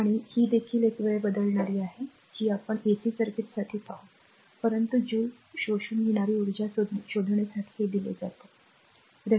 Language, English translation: Marathi, And this is also a time varying we will see for a ac circuit, but this is simply given you have to find out the energy the joule absorbed right